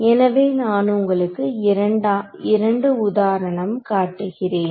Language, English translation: Tamil, So, we will take I mean I will show you two examples